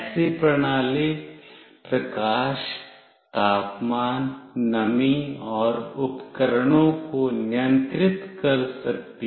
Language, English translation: Hindi, Such a system can control lighting, temperature, humidity, and appliances